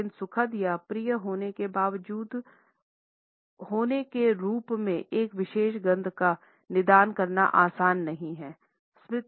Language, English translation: Hindi, But it is not easy to diagnose a particular scent as being pleasant or unpleasant one